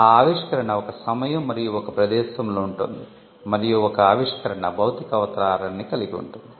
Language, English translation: Telugu, The invention will exist in time and space, and an invention can have physical embodiments